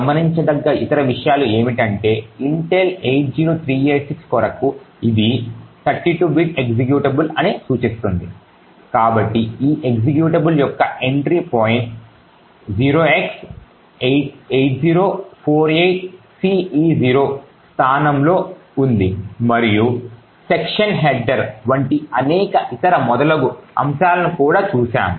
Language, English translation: Telugu, Other things to actually note is that for the Intel 80386 which indicates that it is a 32 bit executable, so as we have seen the entry point for this executable is at the location 0x8048ce0 and we have also seen the various other aspects such as the section headers and so on